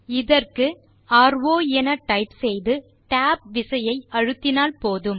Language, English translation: Tamil, For this we just type ro at the prompt and press the tab key